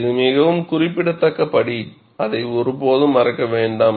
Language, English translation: Tamil, It is a very significant step, never forget that